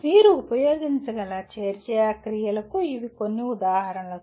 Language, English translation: Telugu, These are some examples of action verbs that you can use